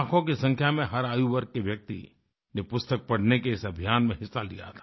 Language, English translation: Hindi, Participants hailing from every age group in lakhs, participated in this campaign to read books